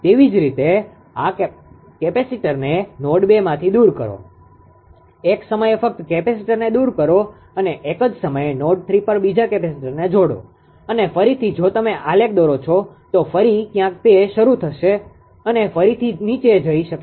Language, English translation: Gujarati, Similarly remove this capacitor from node 2 remove this just one at a time just one at a time connect another capacitor at node 3, and again you again again if you ah plot the graph then again somewhere it will start and we gain it may go further down right